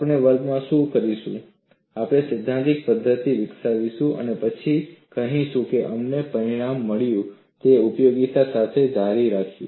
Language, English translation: Gujarati, What we would do in the class is we would develop the theoretical method, and then we would say, we have got the result, and carry on with applications